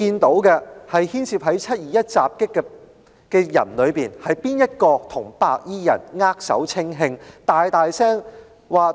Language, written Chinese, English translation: Cantonese, 在"七二一"的襲擊事件中，是誰與白衣人握手稱兄道弟呢？, In the 21 July attack who was the person who gave brotherly handshakes to those white - clad gangsters?